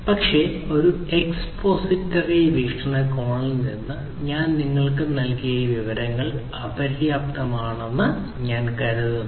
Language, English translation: Malayalam, But, from an expository point of view I think this kind of information whatever I have provided to you is sufficient